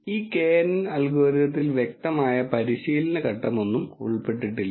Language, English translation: Malayalam, And there is no explicit training phase involved in this knn algorithm